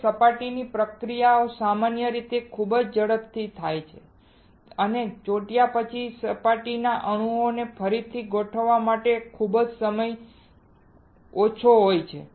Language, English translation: Gujarati, Now, surface reactions usually occur very rapidly and there is very little time for rearrangement of surface atoms after sticking